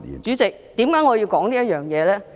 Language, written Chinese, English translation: Cantonese, 主席，為何我要談這方面呢？, President why do I have to talk about such issues?